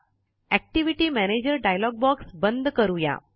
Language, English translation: Marathi, Lets close the Activity Manager dialog box